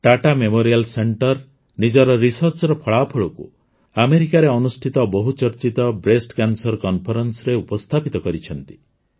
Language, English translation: Odia, Tata Memorial Center has presented the results of its research in the very prestigious Breast cancer conference held in America